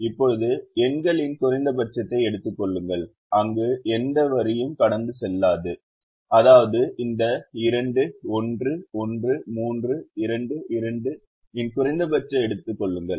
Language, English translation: Tamil, now take the minimum of the numbers where no line is passing through, which means take the minimum of this: two, one, one, three, two, two